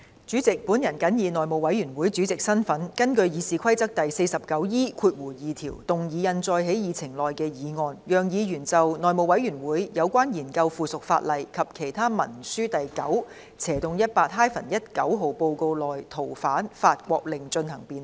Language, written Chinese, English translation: Cantonese, 主席，我謹以內務委員會主席的身份，根據《議事規則》第 49E2 條，動議印載在議程內的議案，讓議員就《內務委員會有關研究附屬法例及其他文書的第 9/18-19 號報告》內的《逃犯令》進行辯論。, President in my capacity as Chairman of the House Committee I move the motion as printed on the Agenda in accordance with Rule 49E2 of the Rules of Procedure be passed so that Members can debate the Fugitive Offenders France Order as set out in Report No . 918 - 19 of the House Committee on Consideration of Subsidiary Legislation and Other Instruments